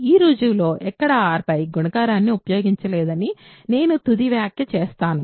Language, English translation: Telugu, I will only make the final remark that nowhere in this proof we have used multiplication on R